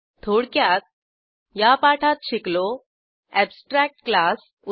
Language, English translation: Marathi, In this tutorial we learnt, Abstract class eg